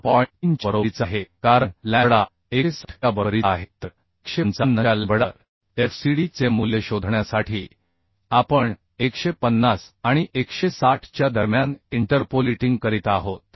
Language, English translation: Marathi, 3 is coming for lambda is equal to 160 so we are interpolating between 150 and 160 to find the value of fcd at a lambda of 155